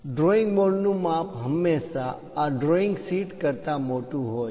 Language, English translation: Gujarati, The drawing board size is always be larger than this drawing sheet